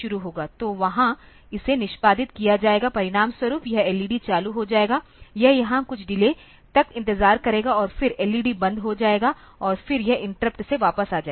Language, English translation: Hindi, So, there it will be executing this as a result this LED will be turned on, it will wait for some delay here and then the LED will be turned off and then it will be returning from interrupt